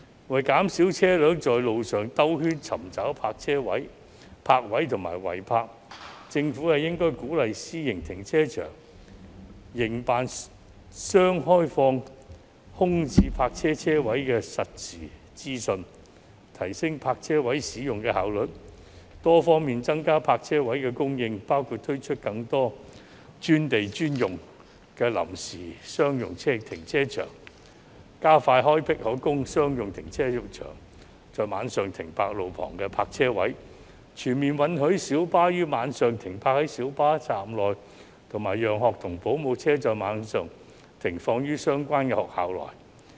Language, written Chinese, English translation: Cantonese, 為減少車輛在路上繞圈尋找泊位及違泊，政府應鼓勵私營停車場營辦商開放空置泊車位的實時資訊，提升泊車位使用的效率，多方面增加泊車位的供應，包括推出更多"專地專用"的臨時商用停車場，加快開闢可供商用車輛在晚上停泊的路旁泊車位，全面允許小巴於晚上停泊在小巴站內，以及讓學童保姆車在晚上停放於相關學校內。, In order to reduce the number of vehicles searching for parking spaces and illegally parked on the road the Government should encourage private car park operators to release real - time information on vacant parking spaces improve the efficiency of parking spaces utilization and increase the supply of parking spaces by various means including providing more temporary commercial car parks on land dedicated for that purpose accelerate the provision of more night - time on - street parking spaces for commercial vehicles allow minibuses to park at minibus terminus at night and allow nanny vans to park in the relevant schools at night